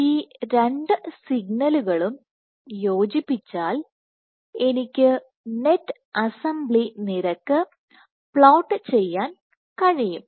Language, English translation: Malayalam, So, if I combine these two signals what I can get I can plot the net assembly rate